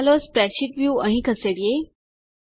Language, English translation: Gujarati, lets move the spreadsheet view here